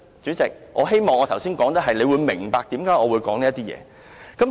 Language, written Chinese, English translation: Cantonese, 主席，我希望你明白為何我作出這些論述。, President I hope you understand why I am saying these